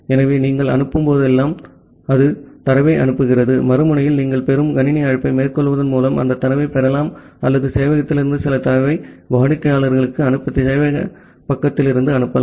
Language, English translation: Tamil, So, whenever you are making a send call, it is sending the data; at the other end you can receive that data by making a receive system call or you can make a send to the from the server side to send some data from the server to the client